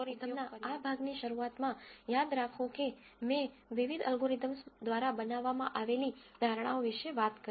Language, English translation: Gujarati, Now remember at the beginning of this portion of data science algorithms I talked about the assumptions that are made by different algorithms